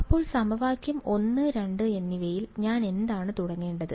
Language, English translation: Malayalam, So, of equation 1 and 2 what do I begin with